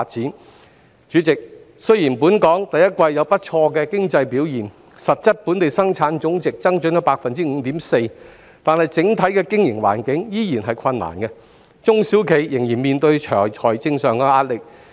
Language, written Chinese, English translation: Cantonese, 代理主席，雖然本港第一季有不俗的經濟表現，實質本地生產總值增長了 5.4%， 但整體的經營環境仍然困難，中小企依然面對財政上的壓力。, Deputy President although the economic performance of Hong Kong in the first quarter was not that bad and recorded a 5.4 % growth in real GDP the overall business environment is still difficult and small and medium enterprises are financially hard - pressed